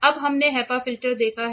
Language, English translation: Hindi, Now, we have seen the HEPA filter